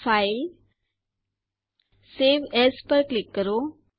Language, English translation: Gujarati, Click on File Save As